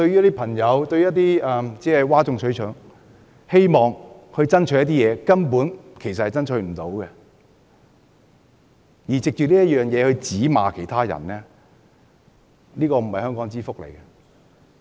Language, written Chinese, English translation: Cantonese, 那些只懂譁眾取寵的議員，只顧爭取一些無法成功爭取的事情，並藉此指罵其他人，這並不是香港之福。, For Members who are concerned about pleasing the public striving for the impossible goals and exploiting the situation to berate others they will not do any good to Hong Kong